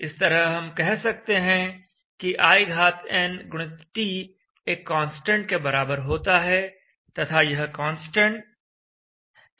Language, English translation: Hindi, So this we can say in x t is = constant and that constant is representing the capacity